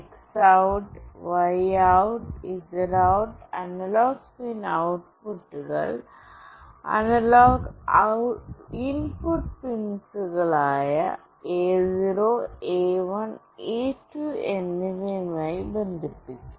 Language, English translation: Malayalam, And the X OUT, Y OUT and Z OUT analog pin outputs will be connected to the analog input pins A0, A1 and A2